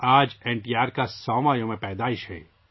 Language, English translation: Urdu, Today, is the 100th birth anniversary of NTR